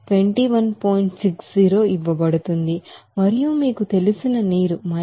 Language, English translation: Telugu, 60 and for you know water it is given 57